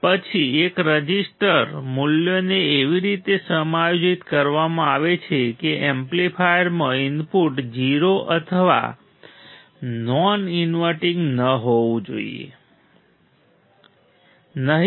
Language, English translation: Gujarati, Then next one is resistor values are adjusted in a way that input to amplifier must not be 0 or non inverting must not be 0 or non inverting ok